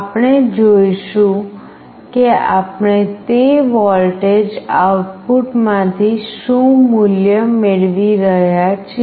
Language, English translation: Gujarati, We will see that what value we are getting from that voltage output